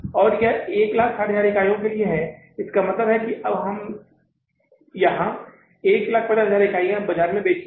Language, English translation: Hindi, So, it means we have now shown here 150,000 units are sold in the market